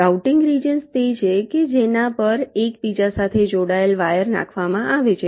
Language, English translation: Gujarati, routing regions are those so which interconnecting wires are laid out